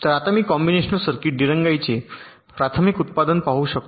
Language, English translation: Marathi, so now i can observe the primary output of the combinational circuit